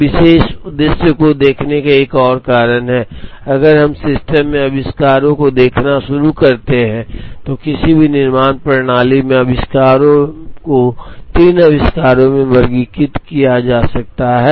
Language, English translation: Hindi, There is another reason to look at this particular objective, if we start looking at inventories in the system, inventories in any manufacturing system can be categorized into 3 inventories